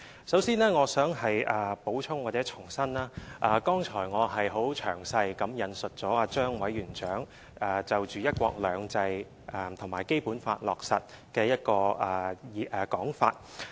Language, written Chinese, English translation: Cantonese, 首先，我想補充或重申，我剛才已經詳細引述了張委員長就"一國兩制"和《基本法》落實的一個說法。, First of all I would like to add or reiterate that I have just quoted in detail the remark given by Chairman ZHANG regarding one country two systems and the implementation of the Basic Law